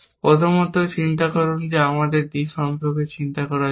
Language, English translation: Bengali, First, worry about; let us worry about clear d, essentially